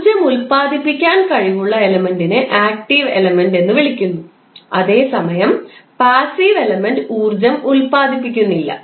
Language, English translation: Malayalam, The element which is capable of generating energy while the passive element does not generate the energy